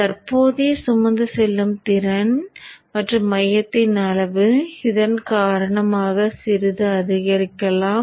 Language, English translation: Tamil, So the current carrying capability and the size of the core may slightly increase because of this